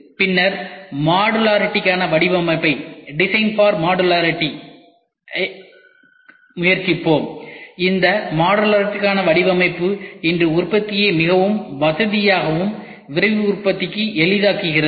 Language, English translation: Tamil, Then we will try to see design for modularity, this modular design makes the manufacturing today more comfortable and easy for Rapid Manufacturing